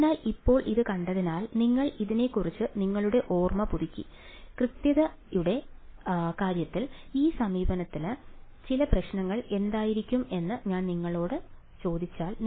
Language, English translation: Malayalam, So, now having seen this now that you have refresh your memory about it, if I ask you what would be some of the problems with this approach in terms of accuracy